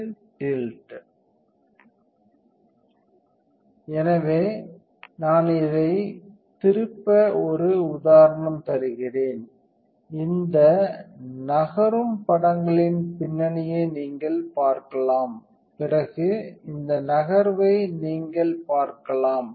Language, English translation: Tamil, So, I will give you an example I can turn this, and you can see the background these images moving and then you can see this moving